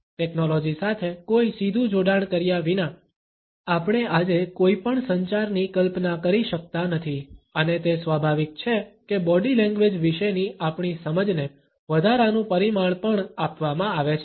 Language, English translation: Gujarati, We cannot imagine any communication today, without any direct association with technology and it is only natural that our understanding of body language is also given an additional dimension